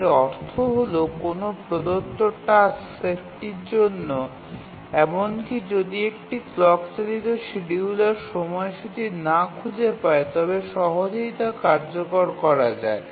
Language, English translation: Bengali, It means that for a given task set even if a clock driven scheduler cannot find a schedule it can be easily executed but the feasible schedule can be obtained using the event driven scheduler